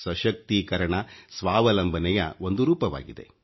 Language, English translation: Kannada, Empowerment is another form of self reliance